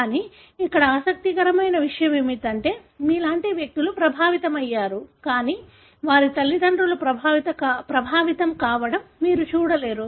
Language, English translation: Telugu, But, what is interesting here is that you do have individuals like, like here who are affected, but you don’t see their parents being affected